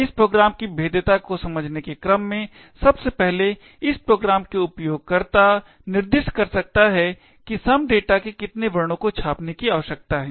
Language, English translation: Hindi, In order to understand the vulnerability of this program, firstly the user of this program can specify how many characters of some data he needs to print